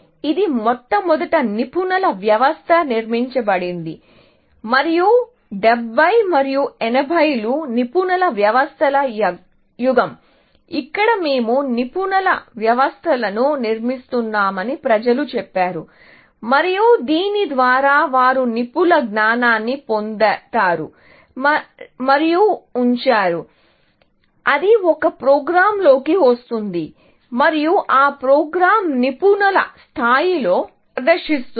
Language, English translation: Telugu, It was touted as the first expert system, which was built, and 70s and 80s was the era of expert systems where, people said that we will build expert systems, and by this, they meant that they will elicit the knowledge of experts, put it into a program, and the program will then, perform at the level of an expert